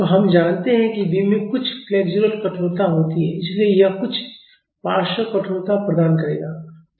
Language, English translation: Hindi, So, we know that the beam has some flexural rigidity; so, it will offer some lateral stiffness